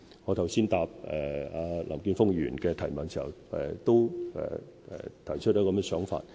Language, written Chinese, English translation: Cantonese, 我剛才在回答林健鋒議員的提問時，也提出了這樣的想法。, I also communicated this thought in my reply to Mr Jeffrey LAMs question just now